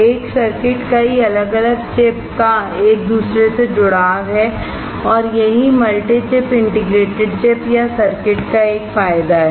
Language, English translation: Hindi, A circuit is the interconnection of a number of individual chip and is an advantage of multi chip integrated chips or circuits